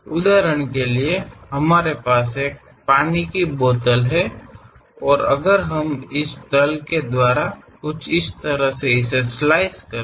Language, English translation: Hindi, For example, we have a water bottle and if we are going to have something like this plane, slice it